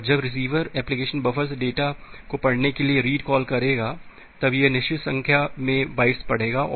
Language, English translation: Hindi, And when the receiver application will made the read call to read the data from the buffer it will again read certain number of bytes